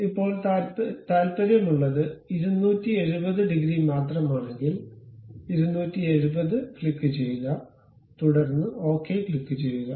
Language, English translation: Malayalam, Now, we are interested only 270 degrees, we click 270, ok, then click ok